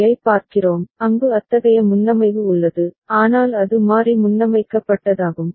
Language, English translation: Tamil, Now we look at another IC where some such preset is there, but that is variable preset